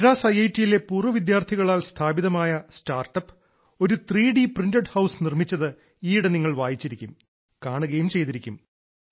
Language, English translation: Malayalam, Recently you must have read, seen that a startup established by an alumni of IIT Madras has made a 3D printed house